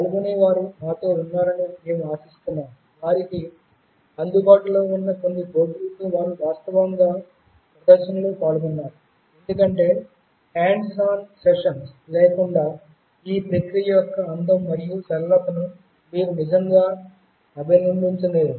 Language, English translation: Telugu, We hope that the participants were with us, they were also involved in actual hands on demonstration with some of the boards that were available to them, because without hands on sessions, you really cannot appreciate the beauty and simplicity of this process